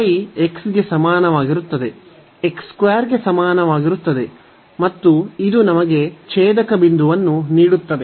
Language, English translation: Kannada, So, y is equal to x is equal to x square and this will be give us the point of intersection